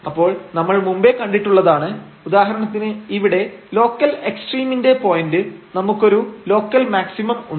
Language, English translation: Malayalam, So, we have already seen that this is for example, the point of local extrema here, we have a local maximum